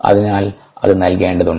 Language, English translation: Malayalam, therefore it needs to provided for